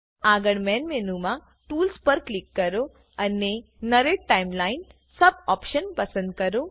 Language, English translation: Gujarati, Next click on Tools in the Main Menu and choose Narrate Timeline sub option